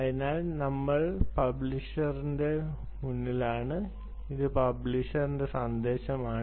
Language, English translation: Malayalam, alright, so now we are in front of the publisher and this is the message for the publisher